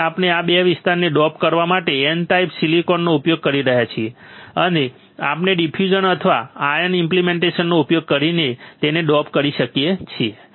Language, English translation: Gujarati, So, we are using N type silicon to dope these 2 area, and we can dope it by using diffusion or ion implantation